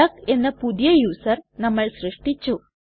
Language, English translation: Malayalam, We have created a new user called duck